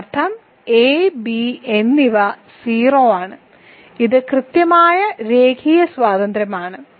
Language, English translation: Malayalam, So that means, hence a and b are 0 which is exactly the linear independence right